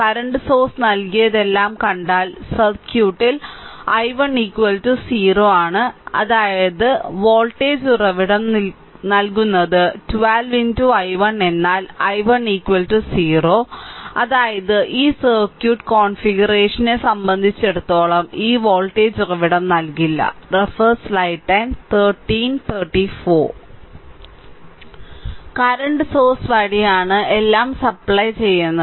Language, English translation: Malayalam, So, if you if you see that that all the power supplied by the current source, because in the circuit i 1 is equal to 0 i 1 is equal to 0; that means, power supplied by voltage source is 12 into i 1 but i 1 is equal to 0; that means, this voltage source is not supplied any power as per this circuit configuration is concerned right